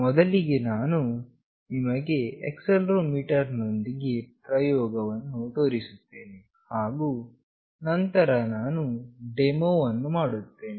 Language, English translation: Kannada, Firstly, I will show you the experiment with accelerometer, and then I will do the demonstration